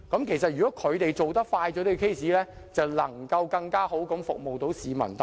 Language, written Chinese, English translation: Cantonese, 其實如果他們能較快審結案件，便能更好地服務市民大眾。, In fact members of the public can be served better if the hearings can be completed early